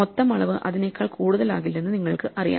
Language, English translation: Malayalam, You know that the total dimension will not be more than that